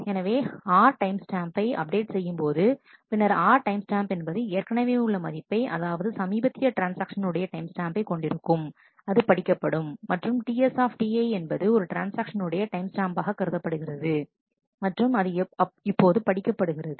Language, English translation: Tamil, So, when you update R timestamp then you are the R timestamp already has a value which is the timestamp of the latest transaction that has read that value and TS T i is the timestamp of the transaction that is read it now